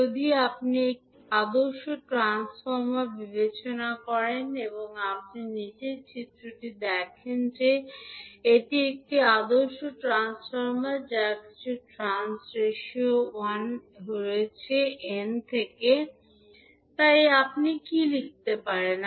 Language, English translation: Bengali, If you consider an ideal transformer, if you see in the figure below it is an ideal transformer having some trans ratio 1 is to n, so what you can write